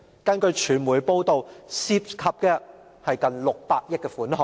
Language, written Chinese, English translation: Cantonese, 根據傳媒報道，這些工程涉及近600億元的款項。, According to media reports such projects involve some 60 billion